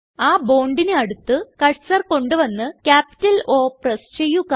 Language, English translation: Malayalam, Place the cursor near the bond and press capital O